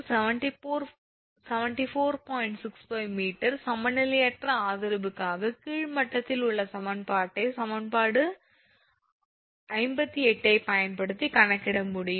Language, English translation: Tamil, 65 meter right, for unequal support sag at lower level can be calculated using equation 58